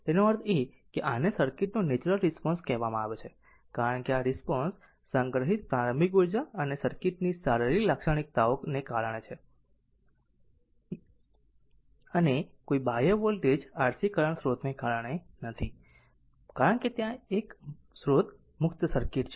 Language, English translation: Gujarati, That means this is called your natural response of the circuit, because the response is due to the initial energy stored and the physical characteristic of the circuit right and not due to some external voltage or current source, because there is a source free circuit